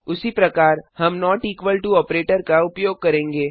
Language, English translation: Hindi, Similarly, we have the not equal to operator